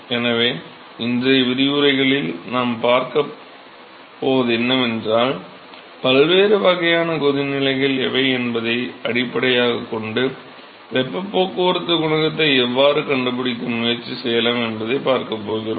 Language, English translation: Tamil, So, what we are going to see in today’s lectures is, we are going a see how we can attempt to find heat transport coefficient, based on what are the different types of boiling